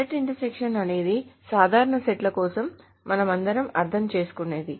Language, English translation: Telugu, Set intersection is very simply the set intersection that we all understand for normal sets